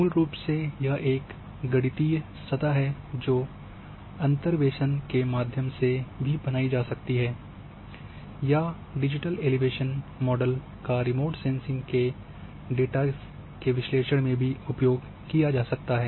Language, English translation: Hindi, And basically it is mathematical a surface which might be created through interpolations or might be digital elevation model might come remote sensing data analysis as well